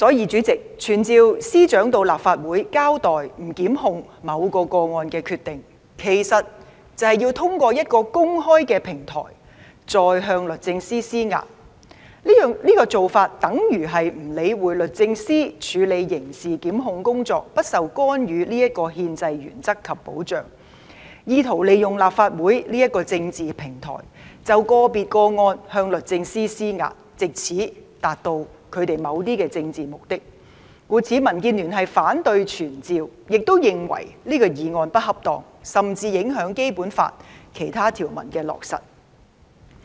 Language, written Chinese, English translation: Cantonese, 主席，傳召司長到立法會交代不檢控某個個案的決定，其實便是透過公開的平台再向律政司施壓，這種做法等於不理會律政司處理刑事檢控工作有不受干預的憲制原則及保障，意圖利用立法會這個政治平台，就個別個案向律政司施壓，藉此達到他們某些政治目的，故此民建聯反對傳召，亦認為這項議案不恰當，甚至影響落實《基本法》其他條文。, President in fact to summon the Secretary to this Council to explain why she has made a decision not to prosecute in a specific case is virtually putting pressure on the Department of Justice in an open platform . This is tantamount to ignoring the constitutional principle and protection that the Department of Justice may enjoy and attempting to put pressure on the Department of Justice on an individual case through the political platform of the Legislative Council with a view to serving some political purposes . For that reason The Democratic Alliance for the Betterment and Progress of Hong Kong opposes the motion of summon and considers it inappropriate as it may even affect the implementation of other Articles of the Basic Law